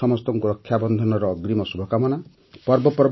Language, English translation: Odia, Happy Raksha Bandhan as well to all of you in advance